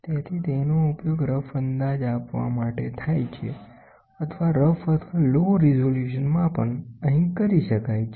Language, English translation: Gujarati, So, it is used to give a high, it is used to give a rough estimate or rough or low resolution measurements can be done here